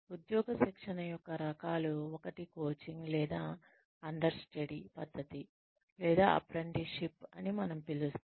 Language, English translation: Telugu, Types of on the job training is, one is the coaching or understudy method, or apprenticeship, as we call it